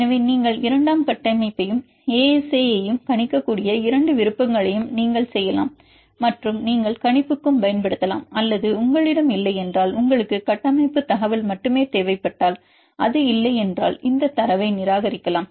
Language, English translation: Tamil, So, you can both options one we can predict the secondary structure and ASA and you can use for prediction or if you do not have, if you need only the structure information then if it is not there then you can discard this data